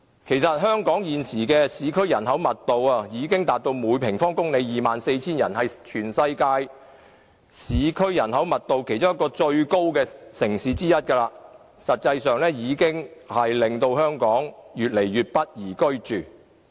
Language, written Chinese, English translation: Cantonese, 其實，香港現時的市區人口密度已達到每平方公里 24,000 人，是全世界市區人口密度最高的其中一個城市，令香港越來越不宜居住。, In fact with an urban population density of 24 000 persons per square kilometre Hong Kong is one of the cities in the world with the highest urban population density making Hong Kong an increasingly undesirable place for living